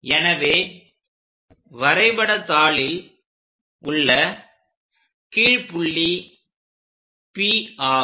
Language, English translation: Tamil, So, on the drawing sheet at the bottom point, this is the point P